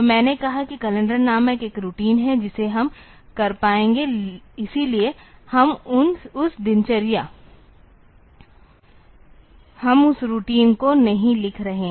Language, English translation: Hindi, So, I said that there is a routine called calendar which we will be able to do that; so we are not writing that routine